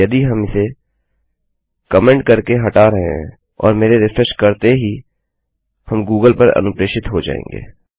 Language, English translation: Hindi, If I get rid of this by commenting it, and I were to refresh then we would be redirected to google